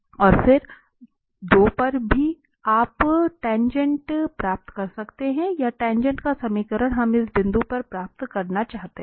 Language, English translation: Hindi, And then r at 2, if you want to get the tangent vector at this point 2 or the equation of the tangent line we want to get at this point t equal to 2